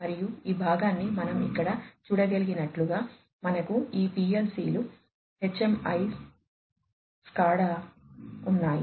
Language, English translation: Telugu, And, as we can see over here this part we have all these PLCS, HMIS, SCADA etcetera